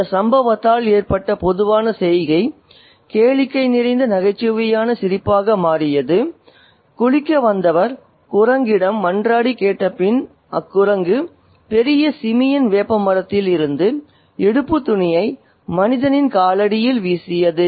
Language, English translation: Tamil, The gentle amusement that was caused by this incident became hilarious laughter when after the beather had supplicated to the monkey with joint hands, the generous Simeon threw down the loin cloth from the neem tree at the man's feet